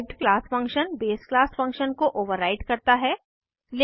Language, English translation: Hindi, The derived class function overrides the base class function